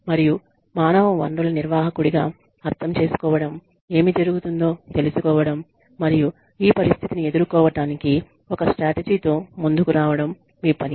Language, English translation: Telugu, And, it is your job, as the human resources manager, to understand, what is going on, and to come up with a strategy, to deal with this, situation